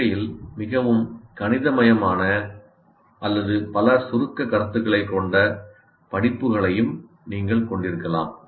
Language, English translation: Tamil, You can also have courses which are highly mathematical in nature or it has several abstract concepts which are difficult to grasp